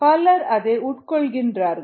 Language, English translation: Tamil, many people consume that